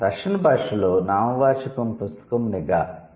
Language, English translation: Telugu, The noun book in Russian is, let's say, niga